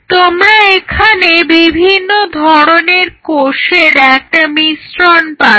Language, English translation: Bengali, You are getting a mixture of different cells